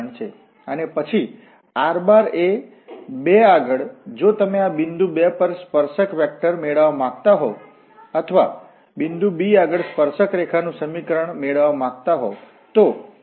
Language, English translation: Gujarati, And then r at 2, if you want to get the tangent vector at this point 2 or the equation of the tangent line we want to get at this point t equal to 2